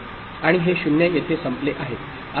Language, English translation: Marathi, And this 0 is over here